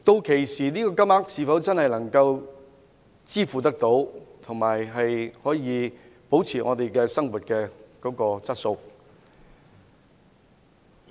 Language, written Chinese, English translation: Cantonese, 屆時這個金額是否真的能夠應付開支，並且維持生活質素？, By then will this amount be really able to meet his expenses and maintain the quality of life?